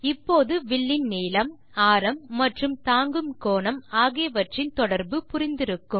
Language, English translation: Tamil, Now we will understand the relation between arc length, radius and the angle subtended